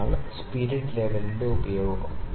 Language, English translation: Malayalam, So, this is the use of the spirit level